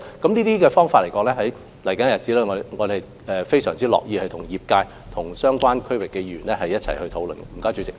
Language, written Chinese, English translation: Cantonese, 就這些想法，在未來的日子，我們非常樂意與業界及相關地區的議員一起討論。, We are more than happy to discuss these ideas with the trade and Members of the relevant districts in the days to come